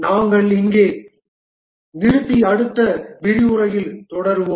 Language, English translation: Tamil, We will stop here and continue in the next lecture